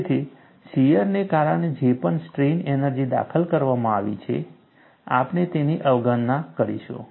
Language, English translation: Gujarati, So, whatever the strain energy introduced because of shear, we would neglect it